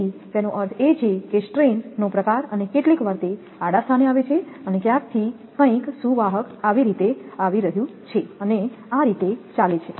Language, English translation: Gujarati, So, that means a strain type so and sometimes it is coming in a horizontal position from some a suppose conductor is coming like this and going like this